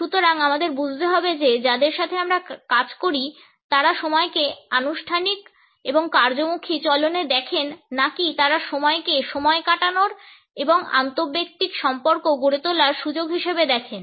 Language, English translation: Bengali, So, we have to understand whether the people with whom we work, look at time in a formal and task oriented fashion or do they look at time as an opportunity to a spend time and develop interpersonal relationships